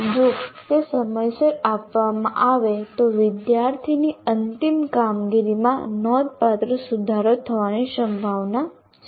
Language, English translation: Gujarati, If that is given, the final performance of the student is likely to improve significantly